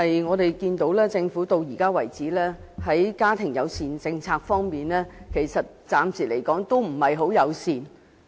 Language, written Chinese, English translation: Cantonese, 我們看到，直至目前為止，政府在家庭友善政策方面仍然不很友善。, We can see that the Governments family - friendly policy is still rather unfriendly so far